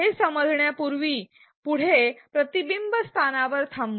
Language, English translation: Marathi, Before we understand this further let us pause at a reflection spot